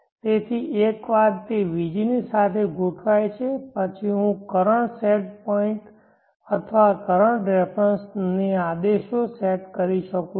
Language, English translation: Gujarati, So once it is aligned along vg then I can set commands to the current set points or the current references